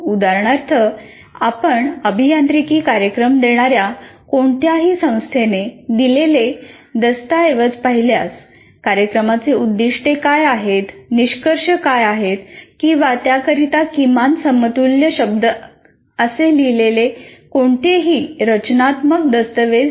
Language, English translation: Marathi, For example, if you look at any document given by any institution offering engineering programs, there is no framework document saying that what are the objectives of the program, what are the program outcomes or at least any equivalent word for that